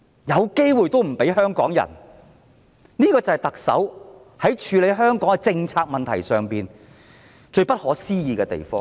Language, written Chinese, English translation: Cantonese, 有機會也不給香港人，這就是特首在處理香港政策問題上最不可思議的地方。, Opportunities even when available are not given to Hong Kong people . This is the most unimaginable practice of the Chief Executive in handling Hong Kongs policy issues